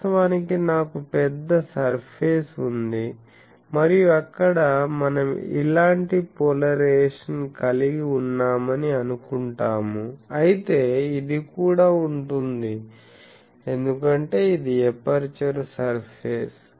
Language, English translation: Telugu, Actually I have a large surface and there we are assuming that we are having a suppose polarisation like these, but there will be also because this is an aperture surface